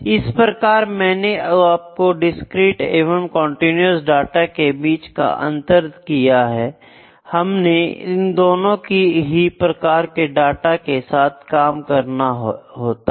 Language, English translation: Hindi, So, this is I think I am able to explain it what is the difference between discrete and continuous data and we can we have to deal with both the kinds of data